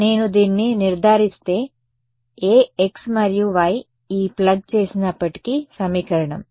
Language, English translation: Telugu, If I ensure this then no matter what x and y are plug into this equation